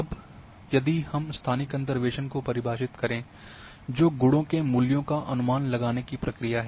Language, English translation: Hindi, Now, if we go to the definition of a spatial interpolation, well which is the procedure of the estimating the value of properties